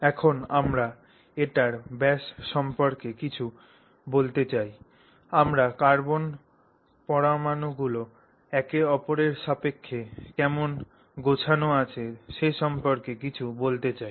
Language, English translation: Bengali, We want to say something about its diameter, we want to say something about how the carbon atoms are sort of lined up with respect to each other and so on